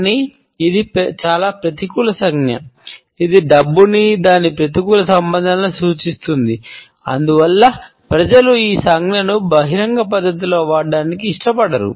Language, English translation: Telugu, But this is a highly negative gesture, because it indicates money with all its negative associations and therefore, people do not like to be associated with this gesture in a public manner